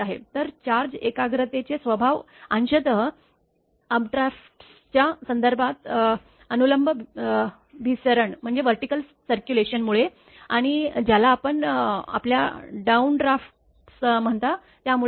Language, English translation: Marathi, So, the disposition of charge concentration is partially due to the vertical circulation in terms of updrafts and what you call your downdrafts right